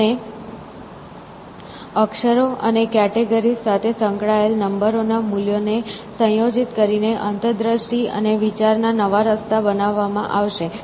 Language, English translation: Gujarati, And, by combining numbers values associated with letters and categories, new paths of insight and thought would be created essentially